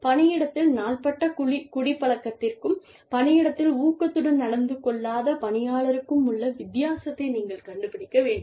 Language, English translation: Tamil, You need to find out the difference between, chronic alcoholism, versus, inebriated employees in the workplace, versus, use of alcohol at work